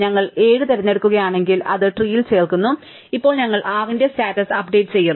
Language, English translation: Malayalam, If we pick 7, then we add it to the tree and now, we update the status of the 6